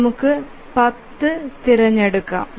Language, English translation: Malayalam, So, you can choose 10